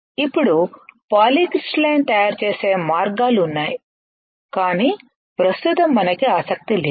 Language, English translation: Telugu, Now there are ways of making a polycrystalline, but right now we are not interested